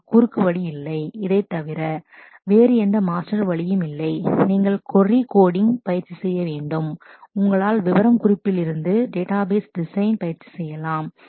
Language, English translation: Tamil, There is no shortcut to that, there is no other way to master the horse other than this you must practice query coding as much as you can, practice database design from specification